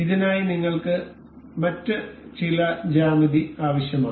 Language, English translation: Malayalam, For this we need some other geometry